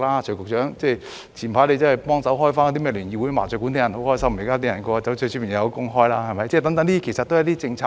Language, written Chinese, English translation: Cantonese, 徐局長早前協助重開聯誼會和麻將館，很多人都很開心，因為市民可以有工開，是幫助大家的政策。, Secretary TSUI has earlier facilitated the reopening of entertainment establishments and mahjong parlours . Many people feel very pleased because they can work again . This policy is beneficial to the public